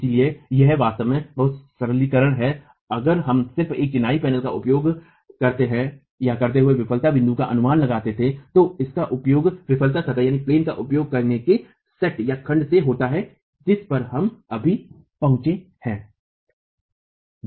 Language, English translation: Hindi, So, it is actually a lot of simplification if you were to just estimate the failure stress at one point using this in a masonry panel using this set of using the failure plane that we have just arrived at